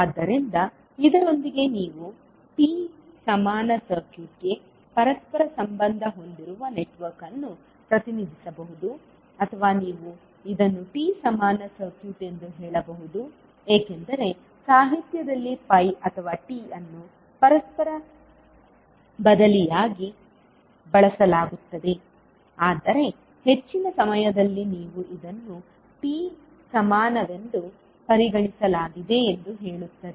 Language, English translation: Kannada, So, with this you will see that you can represent a network which is reciprocal into a T equivalent circuit or you can also say this is Y equivalent circuit because Y or T are used interchangeably in the literature, but most of the time you will say that it is considered as a T equivalent